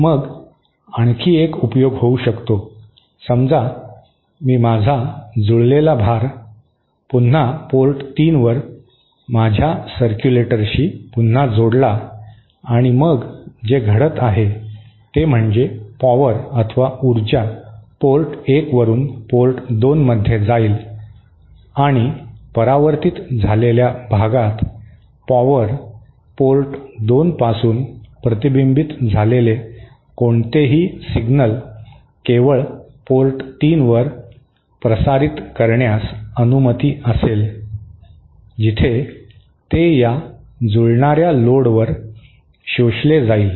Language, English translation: Marathi, Then one other use could be, suppose I connect my matched load to my circulator at the port 3 once again and so what is happening is that power will transfer from port 1 to port 2 and in the reflected part, power, any signal that is reflected from port 2 will be allowed to transmit only to port 3 where it gets absorbed at this matched load